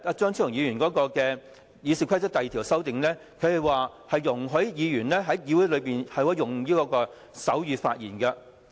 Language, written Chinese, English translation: Cantonese, 張議員就《議事規則》第2條的修正案，容許議員在議會用手語發言。, Dr CHEUNGs amendment to Rule 2 of the Rules of Procedure is to allow a Member to address the Council in sign language